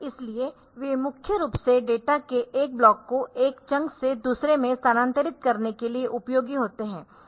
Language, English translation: Hindi, So, they are useful mainly for this transfer of one block of data from one chunk to another, now if these chunks are not all overlapping